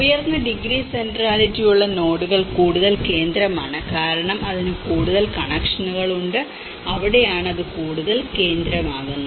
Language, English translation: Malayalam, The nodes with higher degree centrality is more central so, because the more connections it have and that is where it becomes more central